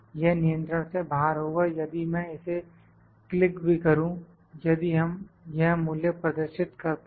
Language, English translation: Hindi, 96, this is out of control if even if I click here, if we show this value